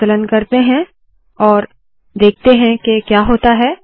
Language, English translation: Hindi, Lets compile this and see what happens